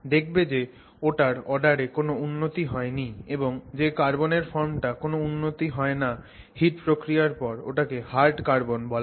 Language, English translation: Bengali, That form of carbon which does not improve its order when you do heat treatment is referred to as a hard carbon